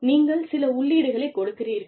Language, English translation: Tamil, You give some inputs